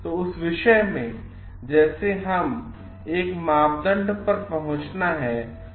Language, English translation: Hindi, So, in that case again like when we have to arrive at a criteria